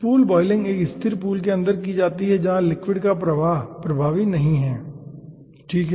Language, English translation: Hindi, pool boiling is associated inside a stagnant pool where liquid flow is not predominant